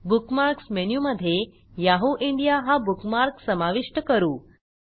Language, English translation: Marathi, Lets say we want to add the Yahoo India bookmark to the Bookmarks menu